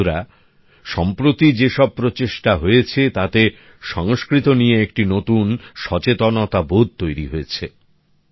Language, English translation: Bengali, the efforts which have been made in recent times have brought a new awareness about Sanskrit